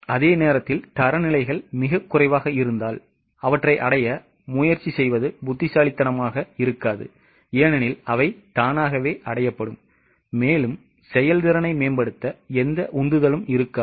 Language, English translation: Tamil, At the same time, if standards are too low, it becomes senseless to put effort to achieve them because they would automatically be achieved and hardly there will be any motivation to improve the performance